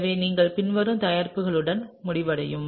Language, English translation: Tamil, And so, you would end up with the following product, okay